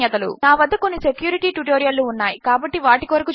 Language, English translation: Telugu, I have some other security tutorials that are coming up so look out for those